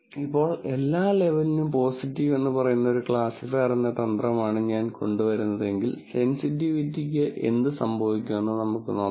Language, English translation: Malayalam, Now, if I come up with a strategy, a classifier, which simply says positive for every label, let us see what happens to sensitivity